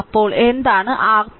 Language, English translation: Malayalam, So, what now what is R Thevenin